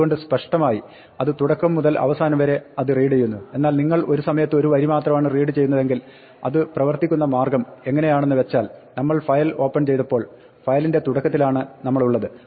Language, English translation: Malayalam, So obviously, it reads from beginning to the end, but if you are reading one line at a time then the way it works is that when we open the file we are initially at the beginning of the file